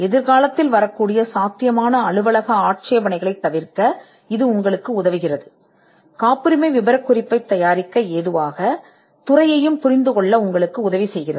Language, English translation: Tamil, It helps you to avoid potential office objections which can come in the future, and also it helps you to understand the field which helps you to prepare the patent specification